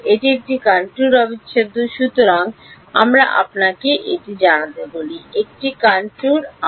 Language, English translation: Bengali, It is a contour integral over, let us call this you know, a contour R